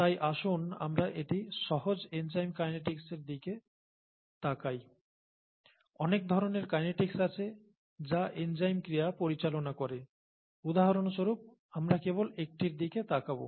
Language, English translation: Bengali, So let us look at a simple kinetics, simple enzyme kinetics, there are very many different kinds of kinetics, which are, which govern enzyme action; we will just look at one, for example, okay